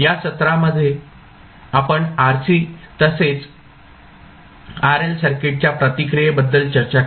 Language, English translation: Marathi, In this session we discussed about the step response of RC as well as RL circuit